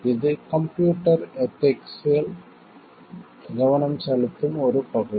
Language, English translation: Tamil, It is a area where computer ethics like focuses on